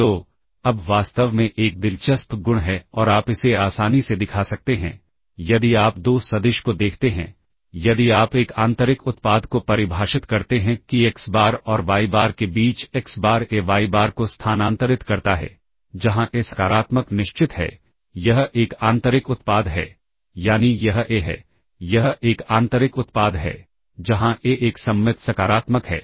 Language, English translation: Hindi, So now, in fact an interesting property and you can easily show this that is; if you look at 2 vector if we define a inner product that xBar between xBar and yBar as xBar transpose AyBar, where A is positive definite this is a inner product that is, this is a, is an, this is a inner product